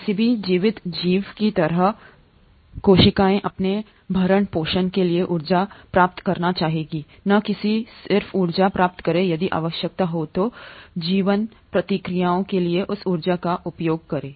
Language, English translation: Hindi, Cells like any living organism would like to acquire energy for its sustenance and not just acquire energy, if the need be, utilise that energy for life processes